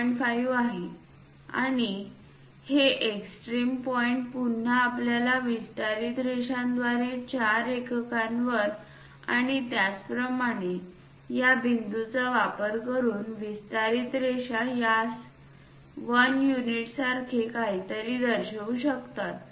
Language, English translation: Marathi, 5 and this extreme point again through our extension lines at 4 units and similarly extension lines using that this point this point one can really show it something like 1 unit